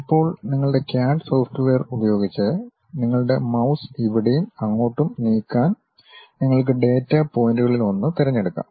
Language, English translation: Malayalam, Now, using your CAD software, you can just pick one of the data point move your mouse here and there